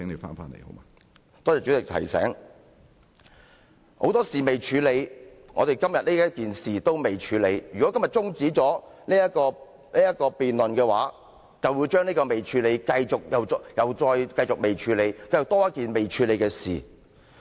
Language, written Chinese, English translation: Cantonese, 我們有很多事尚未處理，我們今天討論的事宜亦未處理，如果今天中止這項辯論，便會將這未處理的事宜，繼續不處理，這又增加一件未處理的事宜。, Given the large number of unfinished businesses and that the discussion item today has yet to be dealt with we will just effectively leave these issues aside if we adjourn the debate today . As a result we will just produce one more unfinished item